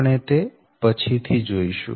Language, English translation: Gujarati, right and later we will see